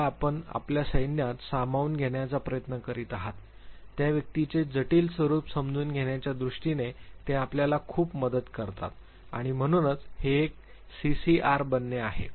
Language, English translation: Marathi, They help you a lot, in terms of understanding the complex nature of the individual whom you are trying to induct in your force and therefore this is a making become CCR